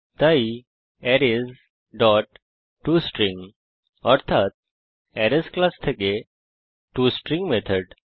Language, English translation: Bengali, So Arrays dot toString means toString method from the Arrays class